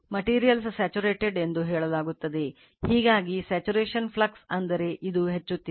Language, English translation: Kannada, The material is said to be saturated, thus by the saturations flux density that means, this you are increasing